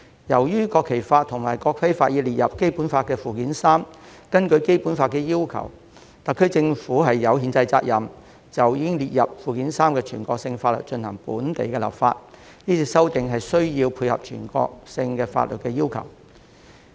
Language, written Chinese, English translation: Cantonese, 由於《國旗法》及《國徽法》已列入《基本法》附件三，根據《基本法》的要求，特區政府有憲制責任就已經列入附件三的全國性法律進行本地立法，所以是次修訂的目的是配合全國性法律的要求。, Given that the National Flag Law and National Emblem Law have been listed in Annex III to the Basic Law and the SAR Government has the constitutional responsibility under the Basic Law to apply the national laws listed therein locally by way of legislation the Bill was introduced to satisfy the requirements under national laws